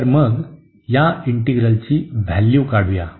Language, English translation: Marathi, So, now let us evaluate this integral